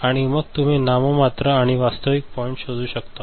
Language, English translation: Marathi, And then you are finding out nominal and actual gain point